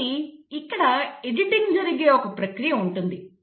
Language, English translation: Telugu, So there is a process wherein the editing takes place